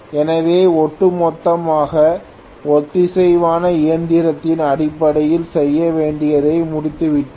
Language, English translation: Tamil, So on the whole we have completed whatever we had to do in terms of synchronous machine